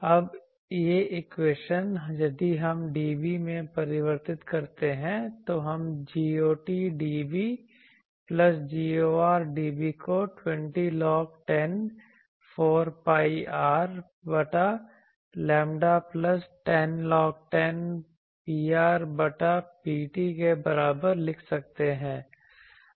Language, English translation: Hindi, So, if that is their so I will have G ot dB equal to Gor dB is equal to half of this 20 log 10 4 pi R by lambda plus 10 log 10 P r by P t